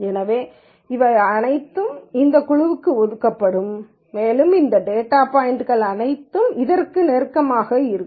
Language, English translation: Tamil, So, all of this will be assigned to this group and all of these data points are closer to this